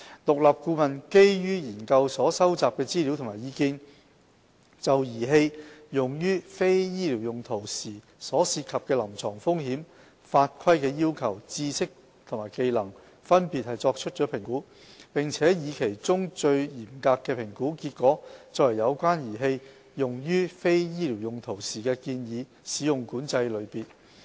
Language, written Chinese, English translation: Cantonese, 獨立顧問基於研究所收集的資料和意見，就儀器用於非醫療用途時所涉及的臨床風險、法規要求、知識和技能，分別作出評估，並以其中最嚴格的評估結果作為有關儀器用於非醫療用途時的建議使用管制類別。, Taking into consideration the information and views collected during the course of the study the independent consultant conducted separate assessments respectively on clinical risk regulatory as well as knowledge and skills for the devices concerned when they are being used for non - medical purposes . The most stringent category of use designation among these three assessments has become the recommended use control category of the device concerned when used for non - medical purposes